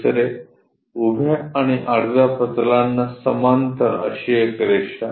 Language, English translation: Marathi, Second one; a line parallel to both vertical plane and horizontal plane